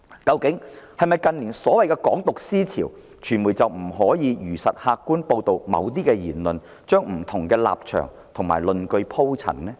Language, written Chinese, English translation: Cantonese, 對於近年的所謂"港獨"思潮，傳媒是否不能如實客觀報道某些言論，把不同立場及論據鋪陳？, With regard to the ideology of Hong Kong independence that has emerged in recent years is the media not allowed to faithfully report certain remarks in an objective manner and present the different positions and arguments?